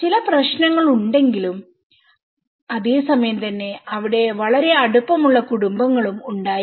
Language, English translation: Malayalam, There are also some issues at the same time there is a very close knit families